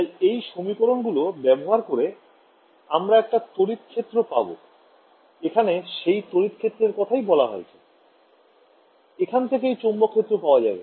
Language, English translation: Bengali, So, using these equations, I can get my I have my electric field here, I have defined my electric field, from here I can get the magnetic field right